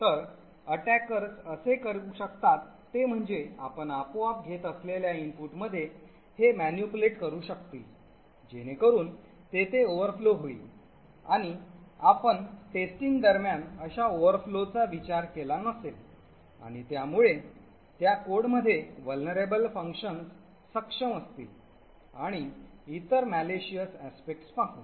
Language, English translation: Marathi, So what attackers could do this way is that they could manipulate what inputs you take automatically so that there is an overflow and you would not have thought of such overflow during the testing and with this they would be able to actually execute vulnerable functions in the code and do a lot of other malicious aspects